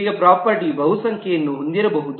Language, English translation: Kannada, Now the property could have multiplicity